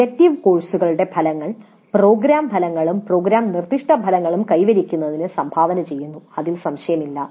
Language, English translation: Malayalam, Now the outcomes of elective courses do contribute to the attainment of program outcomes and program specific outcomes